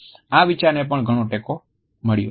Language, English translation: Gujarati, This idea has also received a lot of critical support